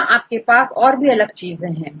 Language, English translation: Hindi, Here also you can have different things